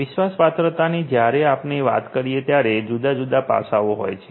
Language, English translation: Gujarati, Trustworthiness when we talk about has different different facets